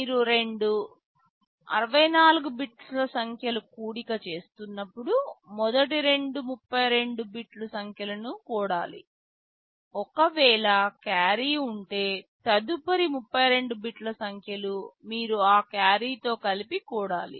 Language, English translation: Telugu, When you are adding two 64 bit numbers, you add first two 32 bit numbers, if there is a carry the next 32 bit numbers you would be adding with that carry